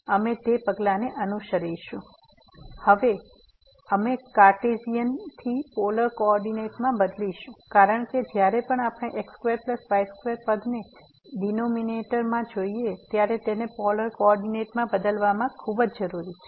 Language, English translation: Gujarati, So, we will change now from Cartesian to the polar coordinate, because whenever we see the square plus square term in the denominator than this changing to polar coordinate is very, very useful